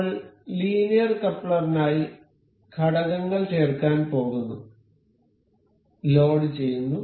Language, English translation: Malayalam, We will go to insert components for linear coupler; I am loading